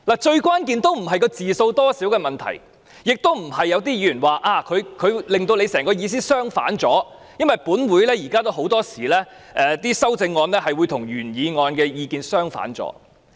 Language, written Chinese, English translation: Cantonese, 最關鍵的也並非字數多少的問題，亦非如有些議員所指她的修正案令我的原議案意思相反，因為本會很多時候也會出現修正案會與原議案意見相反的情況。, After her amendment only the words That this Council urges the Government in my motion remain . The number of remaining words does not matter nor does it matter that her amendment turns my original motion into the opposite meaning as some Members pointed out . There are times in this Council that the amendments and the original motion are opposite in meaning